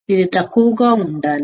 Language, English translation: Telugu, It should be low